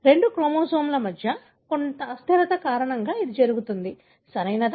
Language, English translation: Telugu, It happens because of some instability between two chromosomes, right